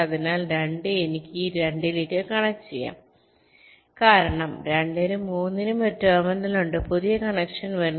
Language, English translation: Malayalam, so two, i can connect to this two because there is a terminal for two and three